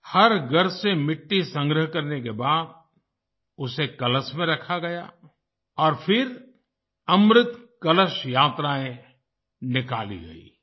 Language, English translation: Hindi, After collecting soil from every house, it was placed in a Kalash and then Amrit Kalash Yatras were organized